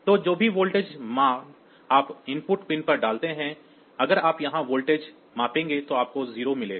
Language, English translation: Hindi, So, whatever voltage value that you put at the input pin; so, if you measure the voltage here you will get a 0